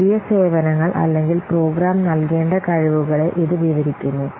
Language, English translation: Malayalam, It describes the new services or the capabilities that the program should deliver